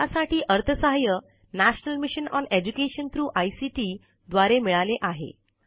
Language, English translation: Marathi, Funding for this work has come from the National Mission on Education through ICT